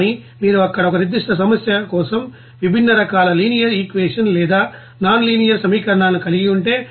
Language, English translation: Telugu, But if you are having different type of you know linear equations or nonlinear equations for a specific problem there